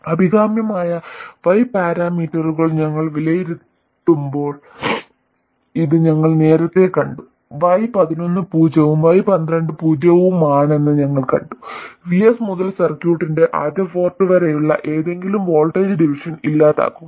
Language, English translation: Malayalam, This we saw earlier when we evaluated the desirable Y parameters, we saw that Y 1 1 being 0 and Y 1 2 being 0 eliminate any voltage division from VS to the first port of the circuit